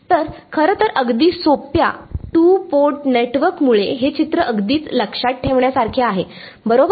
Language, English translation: Marathi, So, actually a very simple two port network also drives home this picture very well right